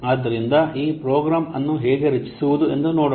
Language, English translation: Kannada, So now let's see how to create a program